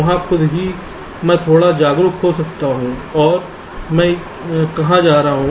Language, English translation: Hindi, there itself i can be a little bit aware of where i am heading to